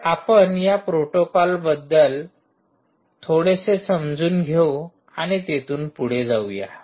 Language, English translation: Marathi, so let us see understand a little bit of this protocols and move on from there